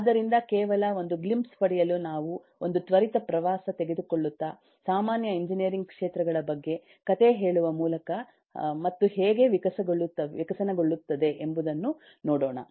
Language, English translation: Kannada, so just to take a glimpse, we will take a eh quick tour this is more of a story telling a quick tour into some of the common fields of engineering and see how they have evolved